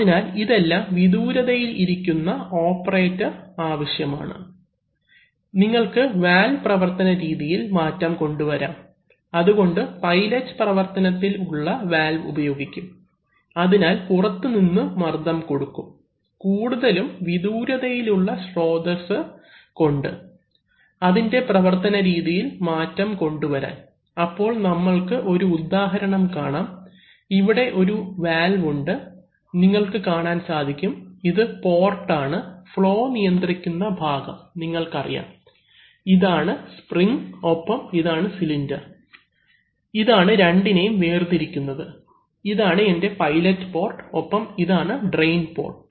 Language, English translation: Malayalam, They can be, you know near the machine etc… So there are needs by which the operator from a from a relatively remote action, it can operate, you can change the mode of working of the valve, so for this reason, pilot operated valves are used where by applying an external pressure, possibly from a remote source, one can change the mode of operation of the valve, so let us give an example, so here you have a valve, you can see that the, this is the port and this is a, this is a, my, you know the member which controls the flow, this is a spring and this is a cylinder, which separates these two, this is my pilot port and this is a drain port